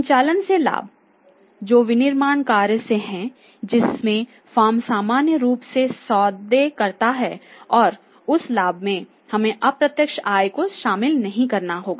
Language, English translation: Hindi, Profit from operations is only that from the manufacturing operations in which the firm normally deals and in that profit in that revenue in that Income we will not have to include the indirect incomes